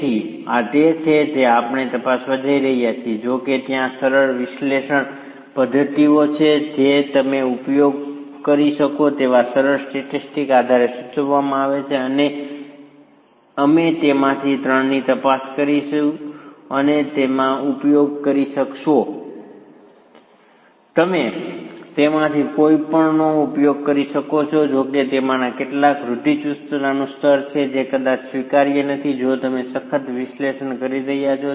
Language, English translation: Gujarati, However, there are simple analytical methods that are prescribed based on simple statics that you could use and we will examine three of them and you could use any of them however some of them have a level of conservatism which is probably not acceptable if you are doing a rigorous analysis